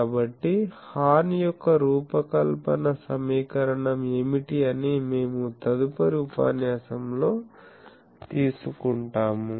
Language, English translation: Telugu, So, that we will take up in the next lecture, that what is the design equation of the horn